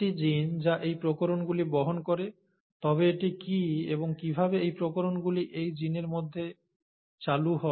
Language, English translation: Bengali, It is the genes which carry these variations, but, what is it and how are these variations introduced into these genes